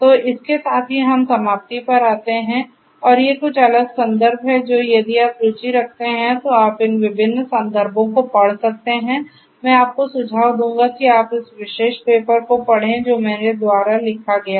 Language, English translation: Hindi, So, with this we come to an end and these are some of these different references that are there and you know if you are interested you could go through these different references, I would suggest that you go through this particular paper that was authored by me